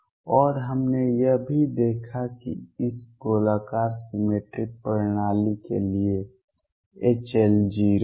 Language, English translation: Hindi, And we also seen that for this spherically symmetric systems H L is 0